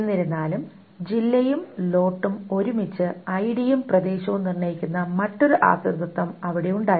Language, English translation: Malayalam, However, there was another dependency which was saying distance and lot together determines ID and area